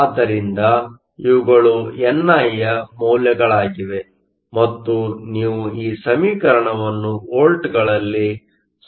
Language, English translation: Kannada, So, these are the values of ni and if you plug in this equation Vo in volts is 0